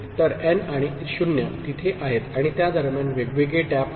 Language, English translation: Marathi, So, n and 0 are there and in between these are the different taps